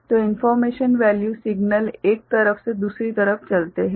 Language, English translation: Hindi, So, information you know value signal moves from one side to the other side ok